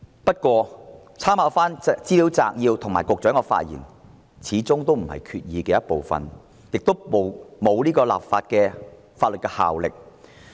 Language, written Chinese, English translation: Cantonese, 不過，立法會參考資料摘要及局長的發言始終不是決議案的一部分，亦沒有法律效力。, However after all the Legislative Council Brief and the Secretarys speech do not stand part of the Resolution and have no legislative effect